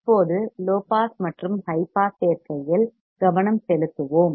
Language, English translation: Tamil, Now, let us focus on low pass and high pass combination